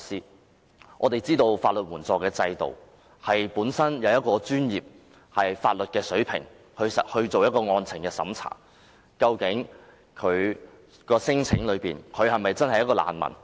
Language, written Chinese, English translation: Cantonese, 眾所周知，香港的法律援助制度是以專業的法律水平就案情作出審查，究竟聲請者是否真的是難民？, As we all know under the legal aid system of Hong Kong professional legal advice will be sought to conduct a merits test to assess if there is a reasonable chance for a claimant to establish his or her status as a refugee